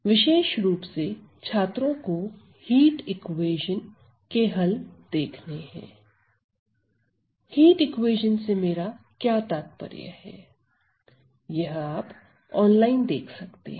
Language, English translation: Hindi, So, in particular the students can look at solutions to heat equation; please see online what do I mean by heat equation